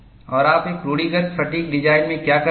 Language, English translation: Hindi, And, what do you do in a conventional fatigue design